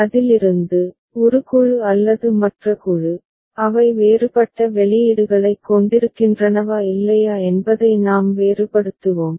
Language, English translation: Tamil, From that, we shall make a distinction whether one group or the other group, they have different set of outputs or not that is the thing